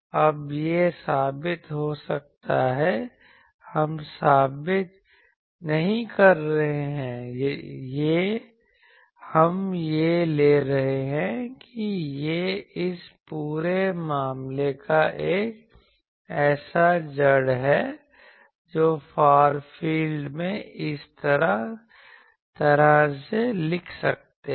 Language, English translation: Hindi, Now, this can be proved, we are not proving; we are taking that this is the crux of this whole thing that in the far field we can write like this